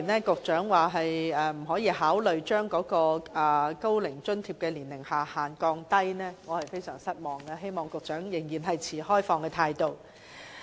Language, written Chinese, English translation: Cantonese, 局長說不會考慮下調高齡津貼的年齡下限，我對此感到非常失望，希望局長保持開放態度。, I am very disappointed with the Secretarys remark that he will not consider lowering the age threshold for OAA . I hope he can hold an open attitude